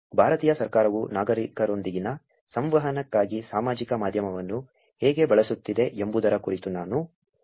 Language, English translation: Kannada, I also mentioned about how Indian government is using social media for their interactions with citizens